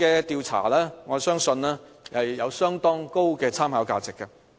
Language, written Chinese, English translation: Cantonese, 因此，我相信此項調查有相當高的參考價值。, Hence I am confident that this survey is of high reference value